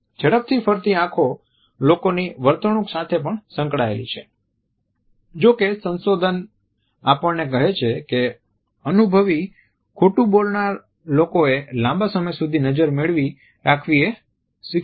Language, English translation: Gujarati, Darting eyes are also associated with the line behavior of people however researches tell us that practiced liars have learnt to hold the gaze for a longer period